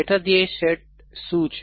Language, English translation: Gujarati, What is the sub goal set